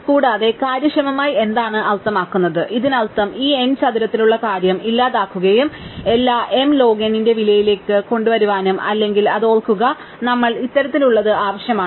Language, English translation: Malayalam, And efficiently means what, it means it can eliminate this n square thing and bring everything down to the cost of m log n or remember this we need to sort